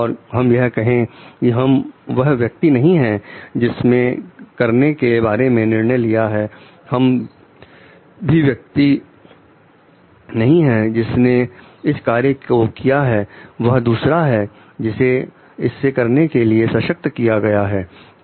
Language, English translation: Hindi, And we will tell like we were not the people who decided about it we were not the people who did this thing it was others who were empowered to do it